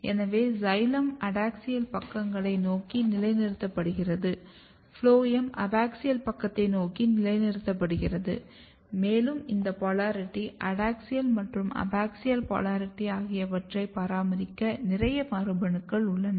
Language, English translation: Tamil, So, xylem is positioned towards the adaxial sides phloem is positioned towards the abaxial side and there are lot of genes which is responsible for maintaining this polarity adaxial versus abaxial polarity